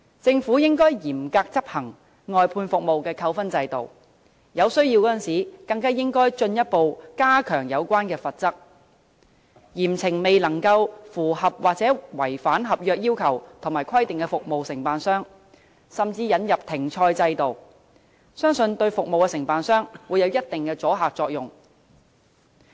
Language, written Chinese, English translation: Cantonese, 政府應該嚴格執行外判服務扣分制度，在有需要時更應進一步加強有關罰則，嚴懲未能符合或違反合約要求和規定的服務承辦商，甚至引入停賽制度，相信這對服務承辦商將有一定阻嚇作用。, The Government should strictly enforce the demerit point system for outsourcing services and when necessary further increase the relevant penalty to severely punish contractors who fail to comply with or act in breach of the contractual requirements and stipulations and even introduce a system of suspension . I believe this will have a certain deterrent effect on the contractors